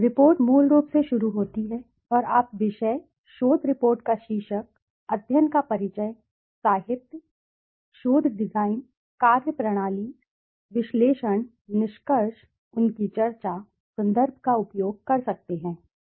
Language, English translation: Hindi, The report starts with basically and you can say the topic, the title of the research report, the introduction to the study, the literature, the design the research design, the methodology, the analysis, the findings, their discussion, the references used